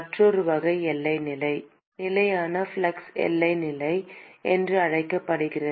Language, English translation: Tamil, Another type of boundary condition is called the constant flux boundary condition